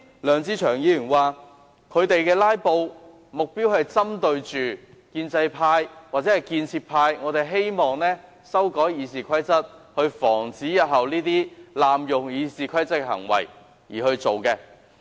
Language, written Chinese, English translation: Cantonese, 梁志祥議員剛才表示，他們"拉布"的目標是針對建制派或建設派希望修改《議事規則》，以防止這些濫用《議事規則》的行為日後再出現。, Mr LEUNG Che - cheung said just now that the target of filibustering is the pro - establishment camp or its proposal to amend RoP aiming at preventing future abuses of RoP